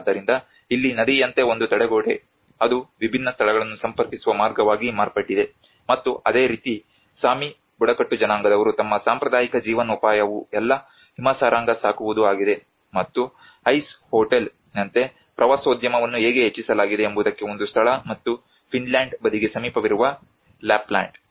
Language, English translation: Kannada, So here a barrier as a river has now become a path it is connecting different spaces and similarly the Sami tribes their traditional livelihood is all reindeer herding, and that is how the tourism has been enhanced like ‘ice hotel’ is one of the place and also the Lapland near to the Finland side